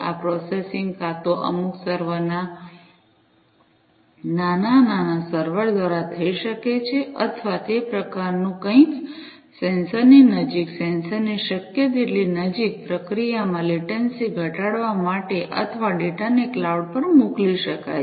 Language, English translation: Gujarati, This processing can be either done through some server’s small servers or, something of that type, close to the sensors, as much close as possible to the sensors, in order to reduce the latency in processing or, the data could be sent to the cloud